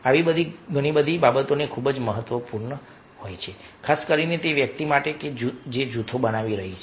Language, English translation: Gujarati, so all such things are very, very important, particularly for a person who is forming the group